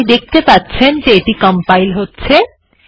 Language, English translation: Bengali, You can see it is compiling